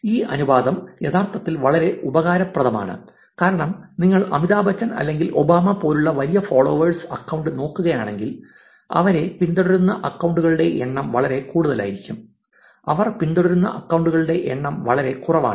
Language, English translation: Malayalam, They also did an interesting analysis on finding the ratio between in degree and the out degree, this ratio is actually very useful because if you look at really large followers account like Amitabh Bachchan or Obama, the number of accounts that follows them will be very high versus the number of followings that they have is actually very low